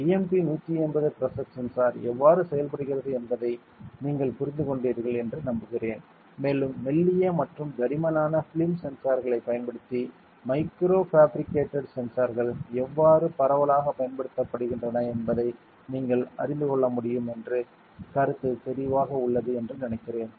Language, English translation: Tamil, I hope you understood how the BMP180 pressure sensor works and I think the concept is clear you can also know how microfabricated sensors using thin, as well as thick film sensors, are widely used ok